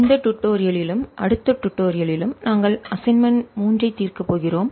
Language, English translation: Tamil, this and the next tutorial we are going to solve assignment three